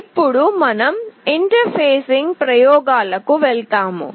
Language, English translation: Telugu, Now we will be going to the interfacing experiments